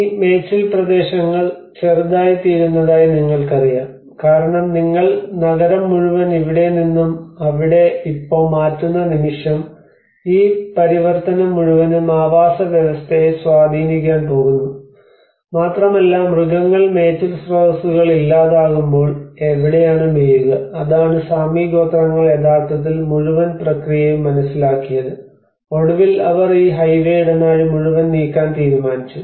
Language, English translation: Malayalam, And you know these grazing lands become smaller because the moment you are taking out the whole city from here to there and this whole transition is going to have an impact on the ecosystem you know and that has been the animal you know grazing sources where do they graze so that is what the Sami tribes have actually understood the whole process and then finally they have decided of they moved this whole highway corridor